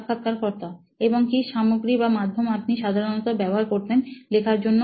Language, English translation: Bengali, And what materials or mediums did you use to generally write